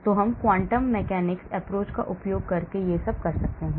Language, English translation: Hindi, So we can do all these using the quantum mechanics approach